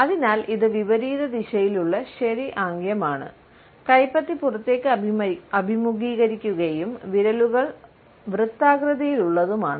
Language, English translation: Malayalam, So, this is an inverted ‘okay’ gesture with ones palm, facing outward and fingers are softly rounded